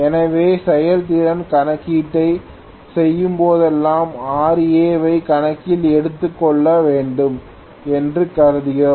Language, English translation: Tamil, So, whenever we do the efficiency calculation we will normally consider Ra, so Ra should be considered or Ra should be taken into account